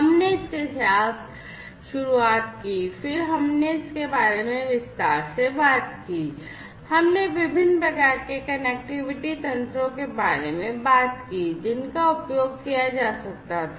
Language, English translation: Hindi, We started with that then we talked about in length, we talked about the different types of connectivity mechanisms, that could be used